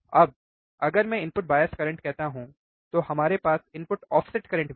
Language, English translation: Hindi, Now, if I say input bias current, then we have input offset current as well